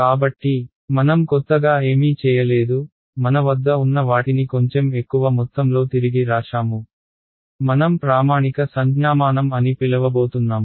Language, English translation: Telugu, So, we did not do anything new, we just re wrote what we already had in a little bit more what I am going to call the standard notation